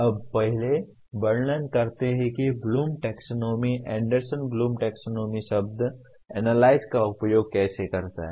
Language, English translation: Hindi, Now first let us describe how the Bloom’s taxonomy, Anderson Bloom’s taxonomy uses the word analyze